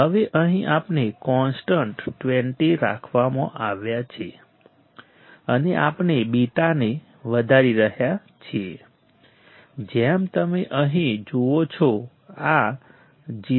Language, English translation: Gujarati, Now, here we are we are kept a constant of 20, and we are increasing the beta like you see here this is 0